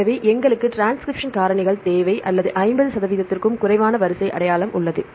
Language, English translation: Tamil, So, we need the transcription factors or with less than 50 percent sequence identity